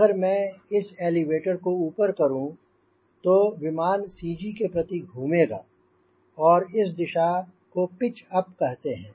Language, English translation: Hindi, right, if i put this elevator up then the aircraft will rotate about central gravity and these direction we call pitch up